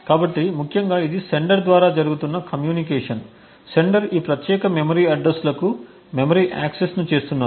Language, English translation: Telugu, So, essentially this is the communication which is happening by the sender, the sender is making memory accesses to these particular memory addresses